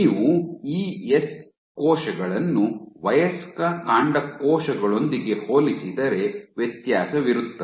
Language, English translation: Kannada, If you compare the ES cells with adult stem cells